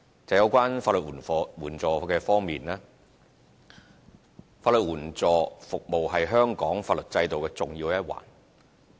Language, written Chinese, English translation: Cantonese, 就有關法援方面，法援服務是香港法律制度的重要一環。, In regard to legal aid legal aid services form an integral part of the legal system in Hong Kong